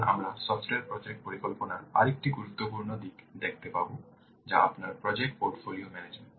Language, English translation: Bengali, Now we will see another important aspect of software project management that is your portfolio project portfolio management